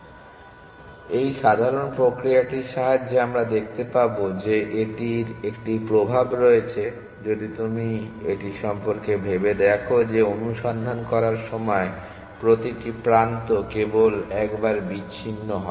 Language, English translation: Bengali, So, with this simple mechanism we can see it has a effect if you think about this that every edge is diverged only once while searching